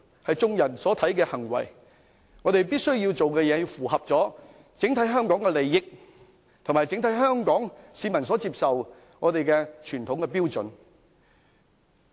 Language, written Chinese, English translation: Cantonese, 我們所做的事必須符合香港的整體利益，以及香港整體市民所接受的傳統標準。, We must act in the overall interest of Hong Kong and in compliance with the traditional standards acceptable to Hong Kong people as a whole